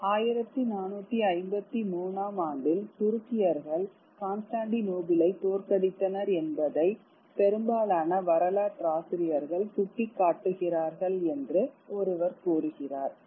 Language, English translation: Tamil, One says that most historians point towards the fall of Constantinople to the Turks in 1453